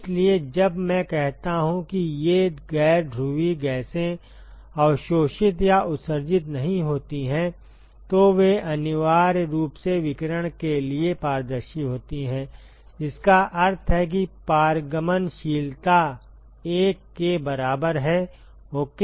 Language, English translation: Hindi, So, when I say these non polar gases do not absorb or emit, they are essentially transparent to radiation, which means that the transitivity is equal to 1 ok